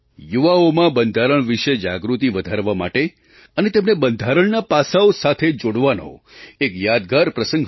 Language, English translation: Gujarati, This has been a memorable incident to increase awareness about our Constitution among the youth and to connect them to the various aspects of the Constitution